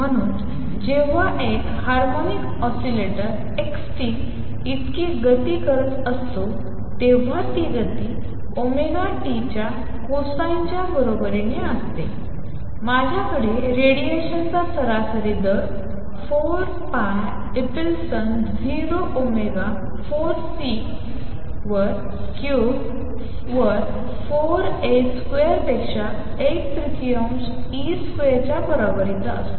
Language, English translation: Marathi, So, when a harmonic oscillator is performing motion x t equals a cosine of omega t, I have the rate of average rate of radiation is equal to 1 third e square over 4 pi epsilon 0 omega raise to 4 A square over C cubed